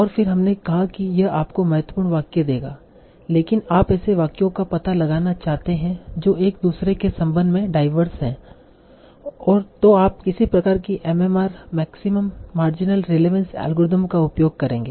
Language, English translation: Hindi, But further, if you want to find out sentences that are diverse enough with respect to each other, then you will use some sort of MMR, maximum marginal relevance algorithm